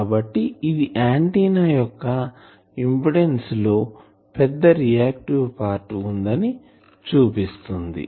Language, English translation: Telugu, So, that shows as the impedance of the antenna is has a large reactive part